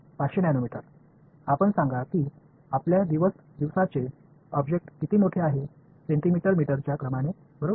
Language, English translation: Marathi, 500 nanometers, let us say what is the size of our day to day objects; on the order of centimeters meters right